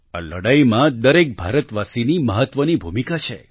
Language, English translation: Gujarati, Every Indian has an important role in this fight